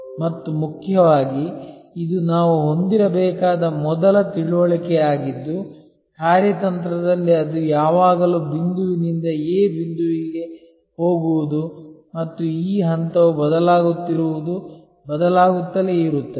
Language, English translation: Kannada, And most importantly this is the first understanding that we must have that in strategy it is always about going from point A to point B and this point changes, keeps on shifting